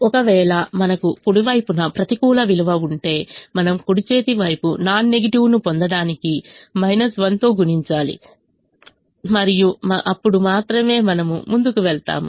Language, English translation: Telugu, if we had a negative value on the right hand side, we have to multiply with a minus one, get the right hand side non negative and only then we will proceed